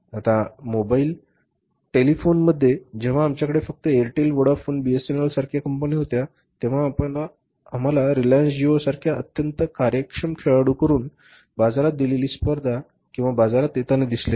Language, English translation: Marathi, Now in the mobile telephone when we had only say companies like Airtel, Boda phone, Bs and L, we have not seen the competition say given in the market or say coming up in the market from the say very efficient player like Reliance Geo